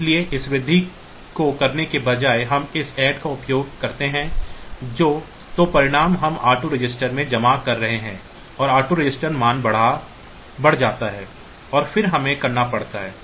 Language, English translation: Hindi, So, that is why instead of doing this the increment we use this add one then the result we are storing in the r 2 register and the r 2 register value is incremented and then we have to